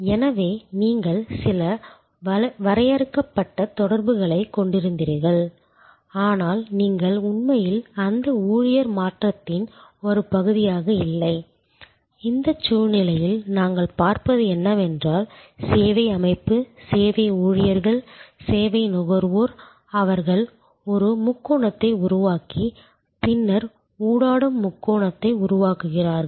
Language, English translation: Tamil, So, you had some define interaction, but you are not actually part of that employee shift, in this situation what we are looking at is that service organization, service employees, service consumers, they form a triangle and then interactive triangle